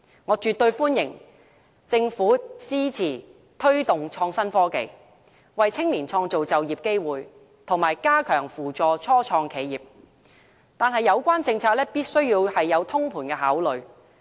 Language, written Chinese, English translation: Cantonese, 我絕對歡迎政府支持推動創新科技，為青年創造就業機會，以及加強扶助初創企業，但有關政策必須有通盤考慮。, I absolutely welcome the Government to support the development of innovation and technology so as to create job opportunities for young people and step up assistance for start - ups . That said the Government must make comprehensive consideration when formulating the policy concerned